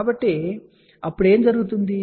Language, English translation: Telugu, So, then what will happen